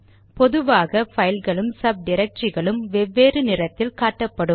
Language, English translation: Tamil, Files and subdirectories are generally shown with different colours